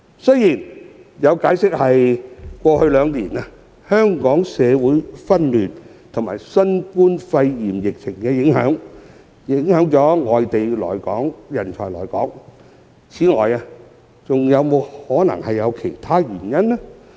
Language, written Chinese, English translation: Cantonese, 雖然有解釋指過去兩年，香港社會紛亂和新冠肺炎疫情影響了外地人才來港，但是否存在其他原因呢？, Although there are views explaining that social unrest in Hong Kong and the COVID - 19 pandemic have affected the motivation of non - local talents to relocate to Hong Kong in the past two years are there any other reasons?